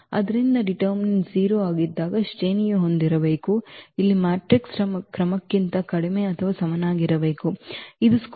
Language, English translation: Kannada, So, when determinant A is 0 the rank has to be less than or equal to the order of the matrix here it is a square matrix